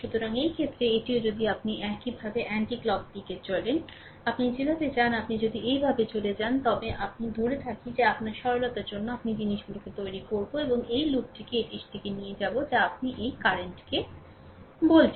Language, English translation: Bengali, So, in this case, it is also if you ah say we move like this, if you move like this say clockwise direction, right, if you move like this or anticlockwise direction, the way you want, if you move like this ah just hold on I for your for simplicity, I will make things in the ah I will take the loop in the direction of this your what you call this current